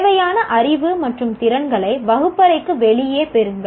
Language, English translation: Tamil, Acquire the required knowledge and skills outside the classroom, not inside the classroom